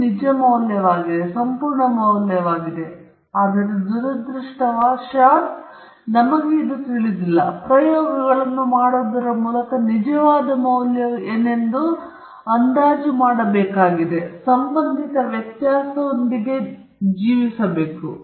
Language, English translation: Kannada, Eta i is the true value, it is the absolute value, but unfortunately, we do not know that, and so we need to estimate what the true value may be by doing experiments, and also living with the associated variability